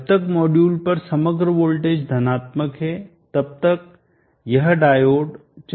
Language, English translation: Hindi, As long as the overall voltage across the module is positive, this diode will not come into the picture